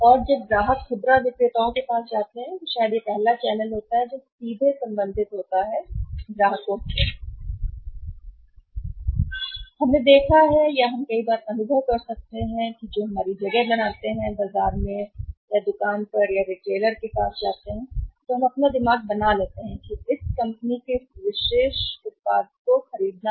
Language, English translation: Hindi, And when the customers come to the retailers maybe the first channel which is directly related to the customers, we might have seen or we might have experience many times that form our place when you go to the market or to the store or to the retailer we are made up our mind that people by this particular product of this company